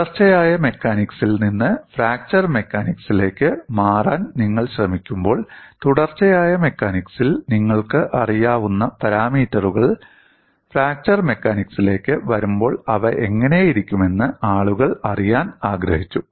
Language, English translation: Malayalam, When you are trying to move away from continuum mechanics to fracture mechanics, people wanted to look at what parameters that continuum mechanics, how they look like when you come to fracture mechanics